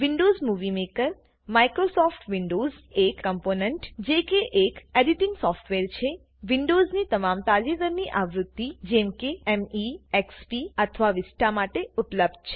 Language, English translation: Gujarati, Windows Movie Maker, a component of Microsoft Windows, is an editing software that is available for all the latest Windows versions – Me, XP or Vista